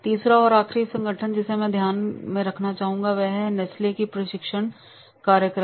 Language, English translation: Hindi, The third and last organization which I would like to take into consideration is the Nesley training program at Nesley